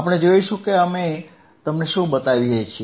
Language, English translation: Gujarati, We will see what we can we can show it to you